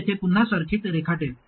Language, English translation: Marathi, I will redraw the circuit here